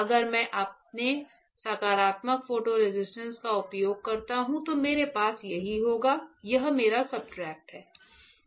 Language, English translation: Hindi, This is what I will have if I use my positive photo resist; this is my substrate